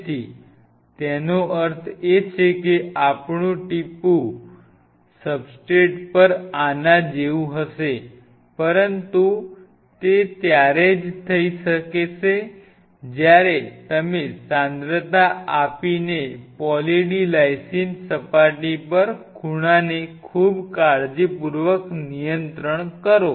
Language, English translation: Gujarati, So, it means eventually the droplet us of will be more like this on the substrate, but then that will only happen when you very carefully monitor the surface angle on Poly D Lysine surface by giving concentration